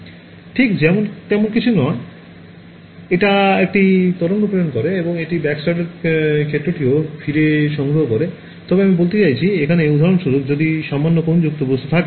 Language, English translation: Bengali, Nothing right so, this guy sends a wave and it also collects back the backscattered field, but I mean if there is for example, slightly angled object over here